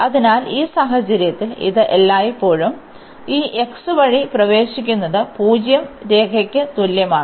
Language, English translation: Malayalam, So, in this case it always enters through this x is equal to zero line